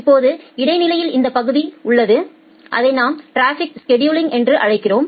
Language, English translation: Tamil, Now, in between we have this module which we called as the traffic scheduling